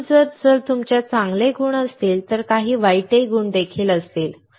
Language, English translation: Marathi, So, if you have good qualities there would be some bad qualities too